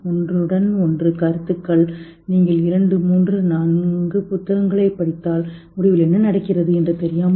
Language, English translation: Tamil, So, a lot of overlapping concepts and if you read two, three, four books, maybe at the end of it, you really don't know what is happening